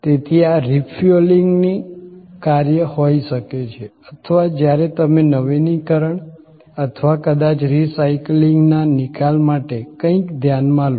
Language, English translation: Gujarati, So, this could be the act of refueling or when you take something for refurbishing or maybe for disposal of a recycling